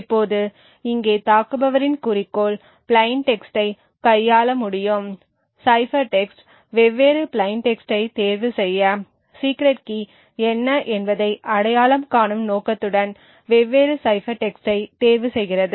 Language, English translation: Tamil, Now the goal of the attacker over here is to be able to manipulate the plain text, cipher text choose different plain text choose different cipher text with the objective of identifying what the secret key is